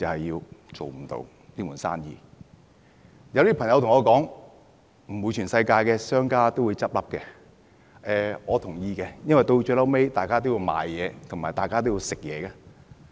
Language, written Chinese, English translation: Cantonese, 有些朋友對我說，不可能全世界的商家都倒閉，我也同意這點，因為大家最後都要買東西、要飲食。, Some people say to me that it is impossible that no business can survive . I do agree with them on this point because eventually everyone needs to shop eat and drink